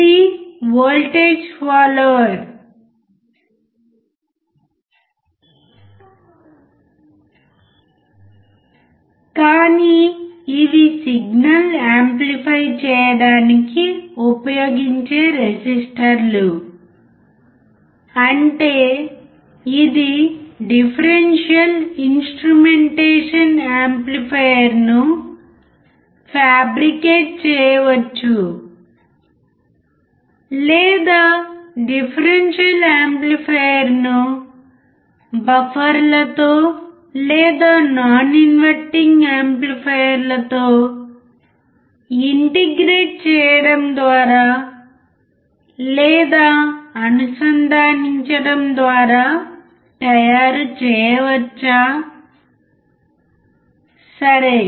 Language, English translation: Telugu, This is voltage follower, but there are resistors which are used to amplify the signal; that means, that this differential instrumentation amplifier can be fabricated, or can be made by attaching or by integrating the differential amplifier with the buffers, or with the non inverting amplifiers, alright